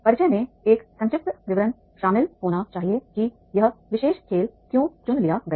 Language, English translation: Hindi, The introduction should also include a brief explanation of why this particular game was selected